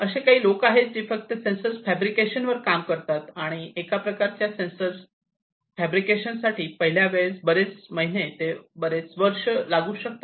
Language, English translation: Marathi, There are people who basically work solely on sensor fabrication and for one type of sensor fabrication it may take you know several months to several years for fabricating a single sensor for the first time